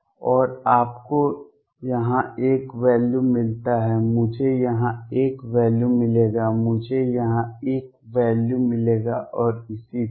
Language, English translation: Hindi, And you get a value here, I will get a value here, I get a value here and so on